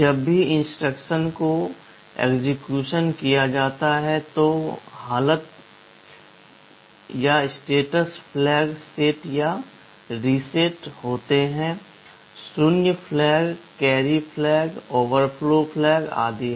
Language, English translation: Hindi, Whenever some instructions are executed the condition flags are set or reset; there is zero flag, carry flag, overflow flag, and so on